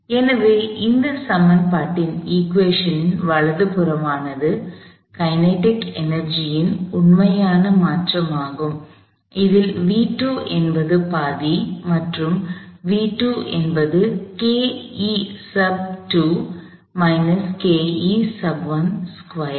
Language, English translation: Tamil, So, the right hand side of this equation is simply the actual change in the kinetic energy, if v 2 is half and v 2 squared is K E 2 minus K E 1